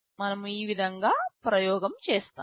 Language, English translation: Telugu, This is how we shall be doing the experiment